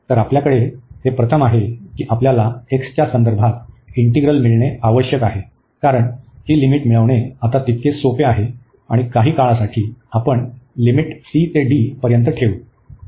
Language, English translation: Marathi, So, we have this first we need to get the integral with respect to x, because getting this limits are as much easier now and for the while we will put the limits from c to d